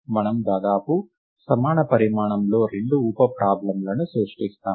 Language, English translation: Telugu, In this case we do something similar we create two sub problems of almost equal size